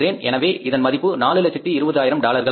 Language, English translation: Tamil, So this is $420,000